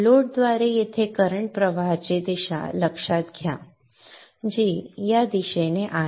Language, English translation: Marathi, Notice the current flow direction here through the load which is in this direction